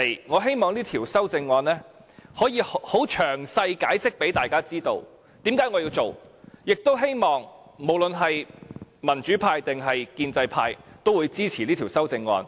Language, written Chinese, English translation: Cantonese, 我希望可以很詳細地解釋給大家知道，為何我要提出這項修正案，亦希望民主派和建制派均會支持這項修正案。, I wish to explain in detail why I have proposed this amendment and lobby for support from the democratic and the pro - establishment camps